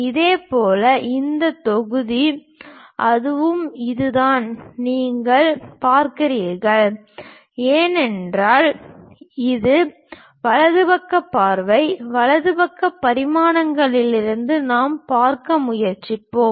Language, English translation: Tamil, Similarly, this block is that and this one is that and right side view if you are looking at it, from right side dimensions we will try to look at